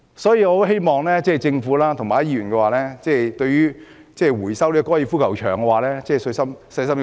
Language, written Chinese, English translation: Cantonese, 因此，我很希望政府和議員細心想清楚收回高爾夫球場土地的問題。, For that reason I hope the Government and Members will think carefully about the resumption of part of the golf course